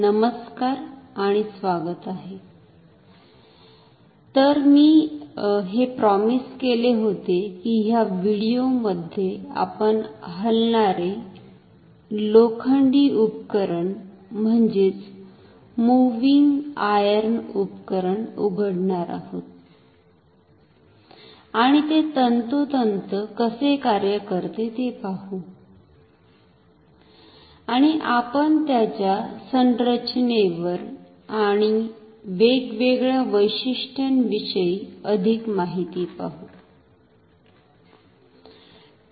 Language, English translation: Marathi, Hello and welcome, so as I promised that in this video, we will open a Moving Iron Instrument and see how it exactly works and we will see in much more detail about its construction and different features